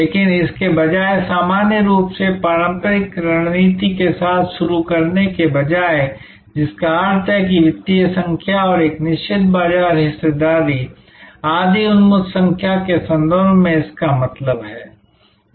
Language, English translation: Hindi, But, instead of starting with this usual conventional way of stating strategy, which normally means sitting it in terms of financial numbers and a certain market share, etc oriented numbers